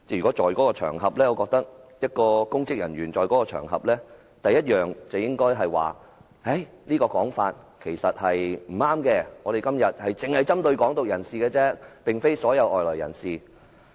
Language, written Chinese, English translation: Cantonese, 我認為如有公職人員在場，他首先應指出這話並不正確，因今天只針對"港獨"人士，而非所有外來人士。, I think that if there had been any public officers at the scene they should have pointed out that such words were incorrect as the rally that day only targeted at the Hong Kong independence advocates but not all foreigners